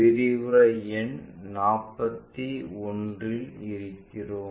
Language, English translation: Tamil, We are at lecture number 41